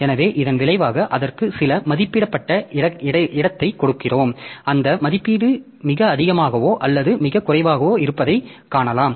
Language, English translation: Tamil, So, as a result we give it some estimated space and maybe we find that that estimation is too high or too low